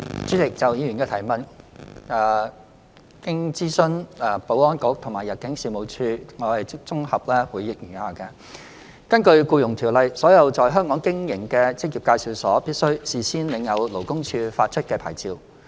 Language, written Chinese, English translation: Cantonese, 主席，就議員的質詢，經諮詢保安局及入境事務處後，我現綜合答覆如下：一根據《僱傭條例》，所有在香港經營的職業介紹所，必須事先領有勞工處發出的牌照。, President having consulted the Security Bureau and the Immigration Department ImmD my consolidated reply to the Members question is set out below 1 According to the Employment Ordinance EO all employment agencies EAs operating in Hong Kong must first obtain a licence from the Labour Department LD